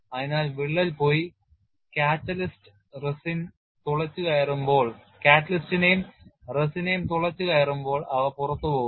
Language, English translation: Malayalam, So, when the crack goes and pierces the catalyst as well as the resin, they get released and then healing takes place